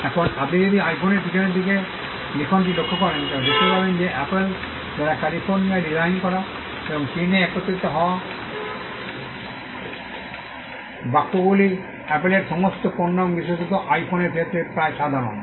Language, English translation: Bengali, Now, if you look at the writing at the back of the iPhone, you will find that the phrase designed by Apple in California and assembled in China is almost common for all Apple products and more particularly for iPhones